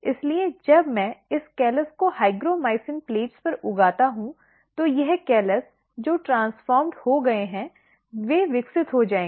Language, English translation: Hindi, So, when I grow this callus on hygromycin plates, so this, callus which are transformed they will grow